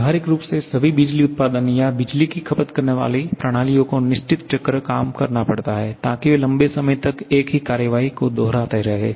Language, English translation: Hindi, Practically, all power producing or power consuming systems has to work on certain cycle, so that they can keep on repeating the same action over a long period of time